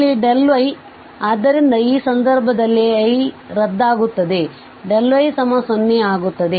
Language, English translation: Kannada, So, here the delta y, so in this case i i goes to 0 and delta y goes to 0